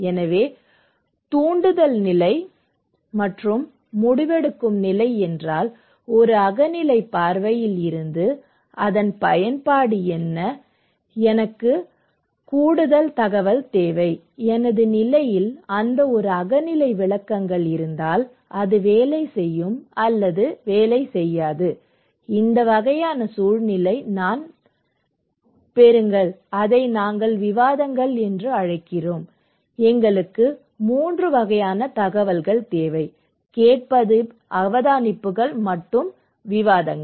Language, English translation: Tamil, So, the persuasion stage and decision stage that means, what is the utility of that from a subjective point of view, I need more information, if subjective interpretations of that one in my condition, it will work or not, this kind of context which I get, which we call discussions so, we have; we need 3 kinds of information; hearing, observations and discussions, okay